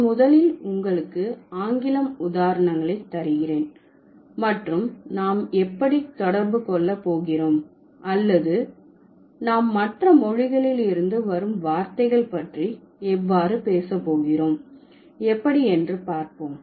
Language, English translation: Tamil, So, I will give you as I generally do, I will give you the examples of English first and we will see what is how we are going to relate or how we are going to talk about words from the other languages